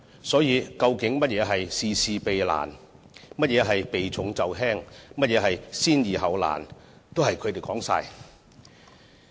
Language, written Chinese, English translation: Cantonese, 所以，究竟甚麼是事事避難，甚麼是避重就輕，甚麼是先易後難，全也由他們判斷。, Hence they are the ones who have the final say on whether the Government has avoided difficult tasks evaded important issues or dealt with straightforward issues first